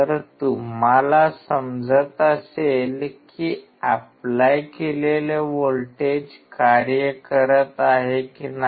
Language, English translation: Marathi, So, you understand whether the voltage that you are applying make sense or not